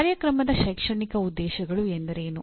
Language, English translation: Kannada, Now, what are Program Educational Objectives